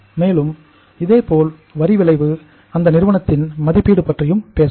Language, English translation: Tamil, And similarly, you talk about the tax effect and the valuation of the firm